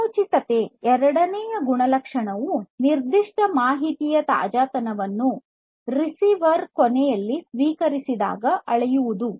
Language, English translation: Kannada, Timeliness the second attribute is basically the measurement of the freshness of a particular information; when it is received at the receiver end